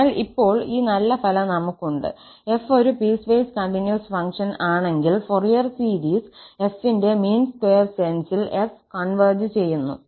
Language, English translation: Malayalam, So, now, we have this nice result that if f be a piecewise continuous function, then the Fourier series of f converges to f in the mean square sense